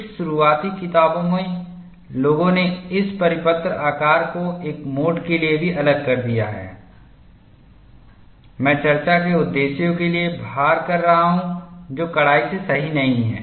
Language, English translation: Hindi, In some of the early books people have extrapolated the circular shape even for a mode 1 loading for discussion purposes, which is strictly not correct